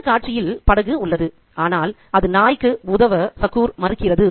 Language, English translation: Tamil, The boat is there on the scene but it refuses, you know, succour to the dog